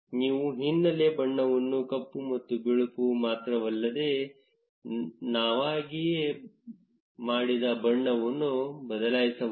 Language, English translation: Kannada, From where you can customize the background color not just black and white, but also a customized color